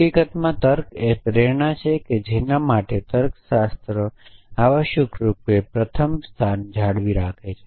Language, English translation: Gujarati, In fact, reasoning is the motivation for which logics by maintained in the first place essentially